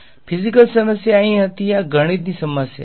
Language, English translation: Gujarati, The physical problem was here this is a math problem